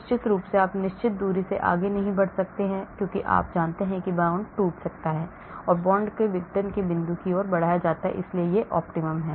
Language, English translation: Hindi, of course you cannot pull beyond certain distance as you know the bond can break, bond is stretched towards the point of dissociation, , so this is the optimum